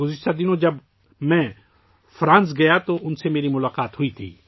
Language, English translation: Urdu, Recently, when I had gone to France, I had met her